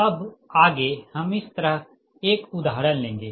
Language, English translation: Hindi, next we will take an example of like that, right